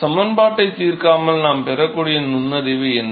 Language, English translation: Tamil, What are the insights that we can get without solving the equation